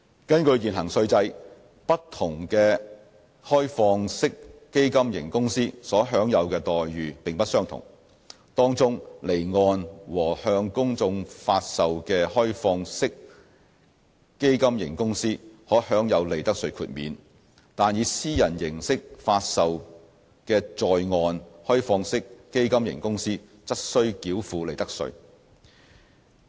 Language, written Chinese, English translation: Cantonese, 根據現行稅制，不同的開放式基金型公司所享有的待遇並不相同；其中，離岸和向公眾發售的開放式基金型公司可享有利得稅豁免，但以私人形式發售的在岸開放式基金型公司則須繳付利得稅。, Under the current tax regime different OFCs do not enjoy the same treatment; while offshore OFCs and publicly offered OFCs will be exempted from profits tax onshore privately offered OFCs cannot enjoy the same exemption